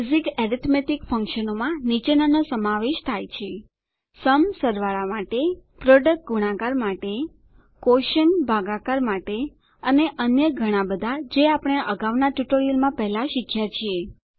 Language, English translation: Gujarati, Basic arithmetic functions include SUM for addition, PRODUCT for multiplication, QUOTIENT for division and many more which we have already learnt in the earlier tutorials